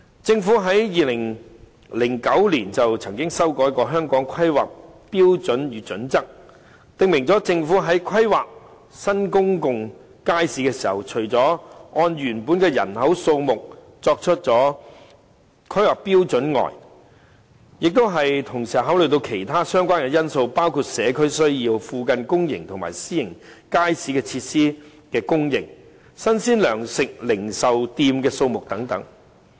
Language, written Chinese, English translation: Cantonese, 政府在2009年曾經修改《香港規劃標準與準則》，訂明政府在規劃新公眾街市的時候，除了按原本以人口數目作為規劃標準外，亦要同時考慮其他相關因素，包括社區需要、附近公營及私營街市設施的供應、新鮮糧食零售店的數目等。, On the contrary it is the social welfare groups in the district that have performed this good deed . The Government amended the Hong Kong Planning Standards and Guidelines in 2008 to stipulate that in planning the provision of new public markets apart from adhering to the original population - based planning standard the Government would take into consideration other relevant factors which include community needs the provision of public and private market facilities nearby the number of fresh provision retail outlets in the vicinity and so on